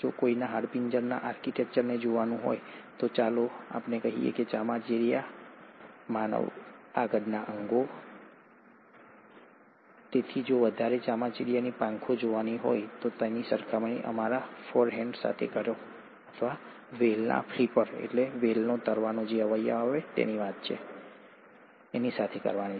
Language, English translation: Gujarati, If one were to look at the skeletal architecture of, let’s say, bats, human forelimbs; so if you were to look at the wings of bats, compare that with our forehands or with the flipper of the whales